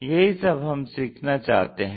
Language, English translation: Hindi, We would like to learn